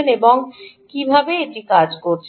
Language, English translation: Bengali, how did you solve it and why and how did it work